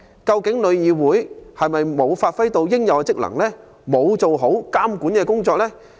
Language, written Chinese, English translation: Cantonese, 究竟旅議會有否發揮應有的職能及做好監管工作？, Has TIC performed its functions and regulate the industry properly?